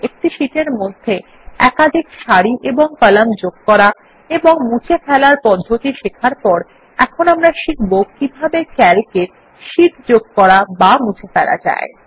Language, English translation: Bengali, After learning about how to insert and delete multiple rows and columns in a sheet, we will now learn about how to insert and delete sheets in Calc